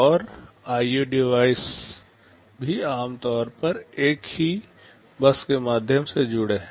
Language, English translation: Hindi, And IO devices are also typically connected through the same bus